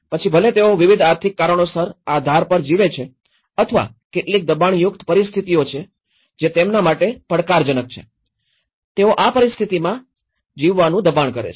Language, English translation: Gujarati, Whether, they are living on the edge for various economic reasons or there are certain pressurized situations that are challenging them, probing them to live in these conditions